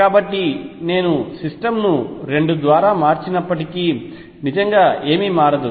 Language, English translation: Telugu, So, even if I shift the system by 2 a nothing really changes